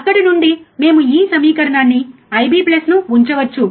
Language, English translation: Telugu, From there, we can put this equation I B plus, right